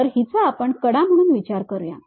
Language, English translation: Marathi, Let us consider this is the edge